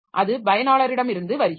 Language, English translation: Tamil, So that is coming from the user